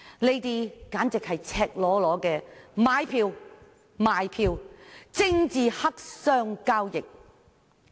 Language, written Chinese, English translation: Cantonese, 這簡直是赤裸裸的買票和賣票交易，堪稱政治黑箱作業。, This is in fact a flagrant deal of vote buying and vote selling which can be referred to as a black box operation